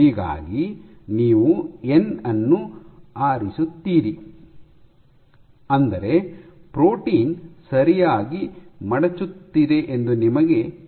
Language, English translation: Kannada, So, you choose n such that at least you know that the protein is folding properly